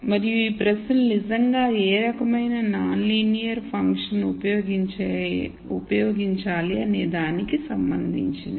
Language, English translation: Telugu, And these questions are really related to what type of non linear function should one use